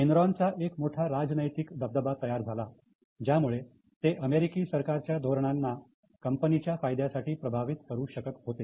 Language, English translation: Marathi, So, Enron had huge political clout and they could manage the policies of US government for the benefit of their company